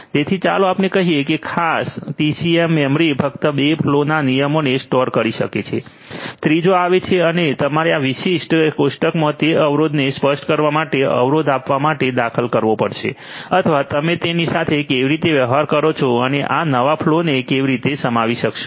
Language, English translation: Gujarati, So, let us say that this particular TCAM memory can store only 2 flow rules, the third one comes and you will have to be either inserted to give the constraint to specify that constraint in this particular table or how do you deal with it; how do you deal with it